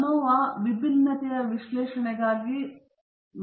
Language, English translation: Kannada, ANOVA stands for analysis of variance